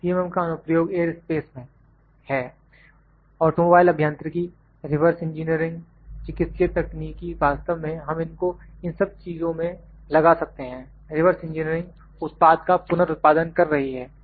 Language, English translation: Hindi, M is in aerospace, automobile engineering, reverse engineering, medical technology we can this actually applied in all these things reverse engineering is reproducing the product